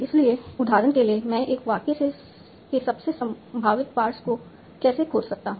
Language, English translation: Hindi, So, for example, how do I find the most likely pass of a sentence